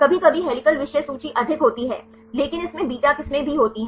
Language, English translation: Hindi, Sometimes the helical content is high, but also it contains beta strands